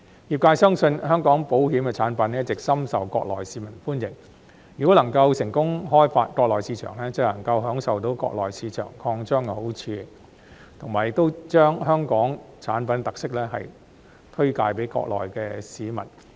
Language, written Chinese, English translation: Cantonese, 業界相信，香港保險產品一直深受國內市民歡迎，如果能夠成功開發國內市場，便能享受到國內市場擴張的好處，並能將香港產品的特色推介給國內市民。, Given that Hong Kongs insurance products have all along been popular among Mainland residents the industry believes if it can successfully tap into the Mainland market it will be able to enjoy the benefits brought about by an expansion of the Mainland market and introduce the characteristics of Hong Kong products to the Mainland residents